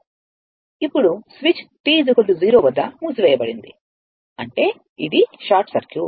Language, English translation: Telugu, Now, switch is closed at t is equal to 0 mean this is short circuit